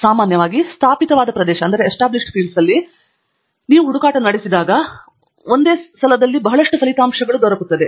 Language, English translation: Kannada, Usually, a an established area is going to give a lot of search results